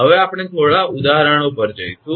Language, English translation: Gujarati, Now we will go for few examples right